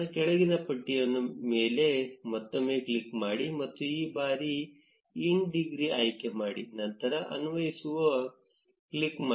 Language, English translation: Kannada, Click on the drop down menu again, and let us select in degree this time, click on apply